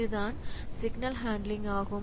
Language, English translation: Tamil, So, there is signal handler like this